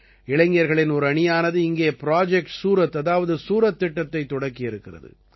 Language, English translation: Tamil, A team of youth has started 'Project Surat' there